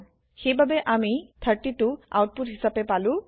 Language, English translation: Assamese, So we get the output as 32